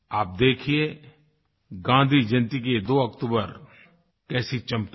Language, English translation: Hindi, You will see how the Gandhi Jayanti of this 2nd October shines